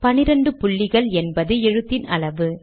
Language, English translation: Tamil, 12 point is the text size